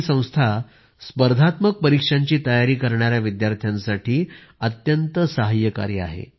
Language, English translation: Marathi, This organisation is very helpful to students who are preparing for competitive exams